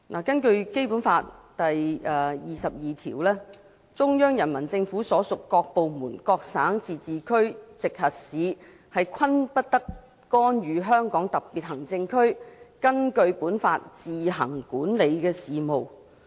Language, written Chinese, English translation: Cantonese, 根據《基本法》第二十二條，中央人民政府所屬各部門、各省、自治區、直轄市均不得干預香港特別行政區根據本法自行管理的事務。, According to Article 22 of the Basic Law no department of the Central Peoples Government and no province autonomous region or municipality directly under the Central Government may interfere in the affairs which the Hong Kong Special Administrative Region administers on its own in accordance with this Law